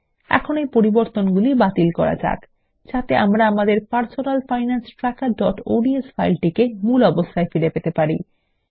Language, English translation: Bengali, Let us undo these changes in order to get our Personal Finance Tracker.ods to its original form